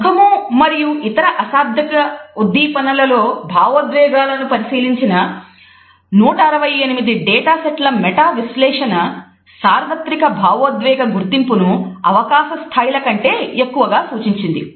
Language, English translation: Telugu, ” A meta analysis of 168 data sets examining judgments of emotions in the face and other nonverbal stimuli indicated universal emotion recognition well above chance levels